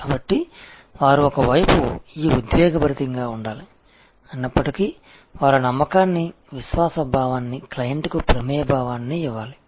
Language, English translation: Telugu, So, they have to one hand remain this passionate, yet they have to a give that sense of confidence, sense of trust, sense of involvement to the client